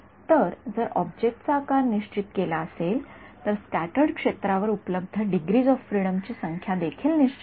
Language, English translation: Marathi, So, if the object size is fixed, the number of degrees of freedom available on the scattered field is also fixed